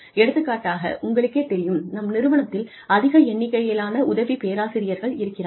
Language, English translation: Tamil, For example, we are all, you know, we have a large number of assistant professors